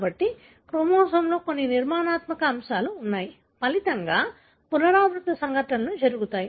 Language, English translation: Telugu, So, again there are some structural elements that are present in the chromosome, resulting in recurrent events